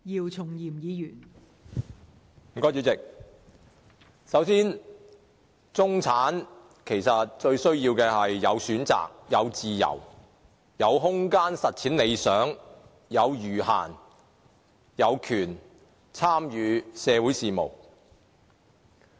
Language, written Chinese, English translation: Cantonese, 代理主席，首先，中產最需要的，其實是有選擇、有自由、有空間實踐理想、有餘閒，以及有權參與社會事務。, Deputy President first of all what the middle class need most are actually a choice freedom some space to turn the dreams into reality some spare time and the right to participate in social affairs